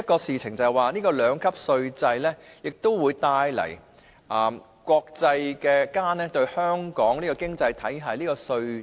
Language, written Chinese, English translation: Cantonese, 此外，兩級稅制可讓國際社會認識香港這個經濟體的稅制。, In addition the two - tiered tax regime can enable the international community to understand the tax system of Hong Kong as an economy